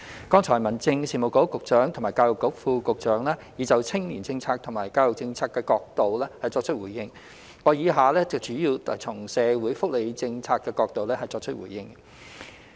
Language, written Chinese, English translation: Cantonese, 剛才民政事務局局長及教育局副局長已分別從青年政策及教育政策角度作出回應，我以下主要從社會福利政策角度作出回應。, Just now the Secretary for Home Affairs and the Under Secretary for Education have responded from the perspectives of youth policy and education policy respectively . I will now respond mainly from the perspective of social welfare policy